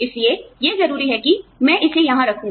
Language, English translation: Hindi, So, it is imperative that, I put it on here